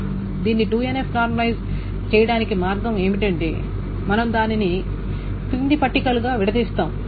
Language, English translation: Telugu, The way to do it to nf normalization is that we break it up into the following tables